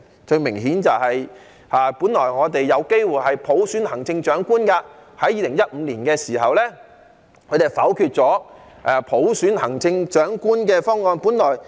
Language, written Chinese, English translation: Cantonese, 最明顯的是，我們本來有機會普選行政長官，在2015年他們否決了普選行政長官的方案。, The most obvious example is that we had a chance to elect the Chief Executive by universal suffrage but they vetoed the proposal to elect the Chief Executive by universal suffrage in 2015